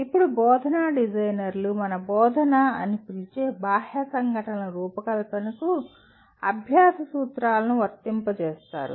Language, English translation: Telugu, Now instructional designers apply the principles of learning to the design of external events we call instruction